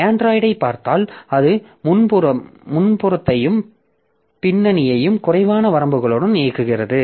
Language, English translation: Tamil, So, if you look into Android, so it runs foreground and background with fewer limits